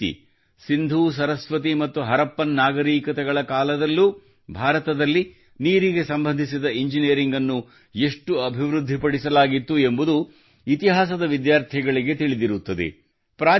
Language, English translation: Kannada, Similarly, students of history would know, how much engineering was developed in India regarding water even during the IndusSaraswati and Harappan civilizations